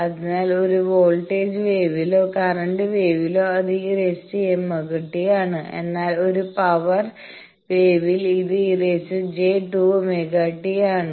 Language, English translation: Malayalam, So, in a voltage wave or current wave it is e to the power j omega t, but in a power wave this is e to the power j 2 omega t